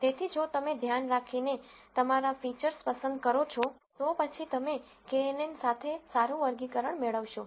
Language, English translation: Gujarati, So, if you choose your features carefully, then you would get better classification with kNN